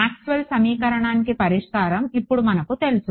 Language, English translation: Telugu, Now we know that the solution to Maxwell’s equation